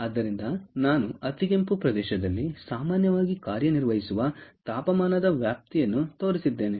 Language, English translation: Kannada, so i have shown a range of temperature which typically works in the infrared region